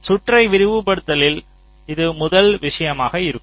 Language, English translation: Tamil, so this is the first thing: speeding up the circuit